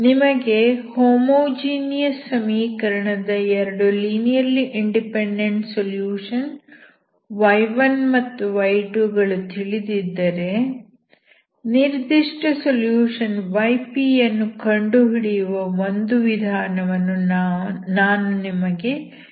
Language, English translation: Kannada, So I will give you a method, such that if you know, two linearly independent solutions y1 and y2 of the homogeneous equation you can find a particular solution y p, okay